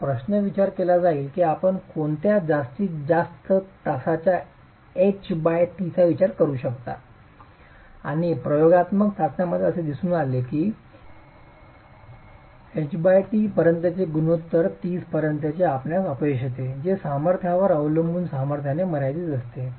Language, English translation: Marathi, Now, question would be what is the maximum H by T that you can consider and in experimental tests it has been seen that up to a H by T ratio of 30, you can have failure that is limited by the strength depending on the strength